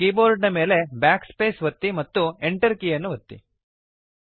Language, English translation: Kannada, Press Backspace on your keyboard and hit the enter key